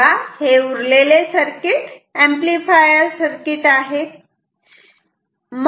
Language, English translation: Marathi, So, the rest of the circuit is therefore, an amplifier